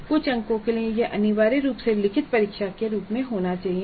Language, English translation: Hindi, For certain marks this has to be necessarily in the form of return tests